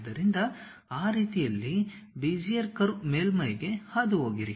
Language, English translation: Kannada, So, pass a surface a Bezier curve in that way